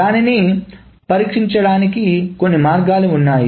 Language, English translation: Telugu, There are a couple of ways of solving it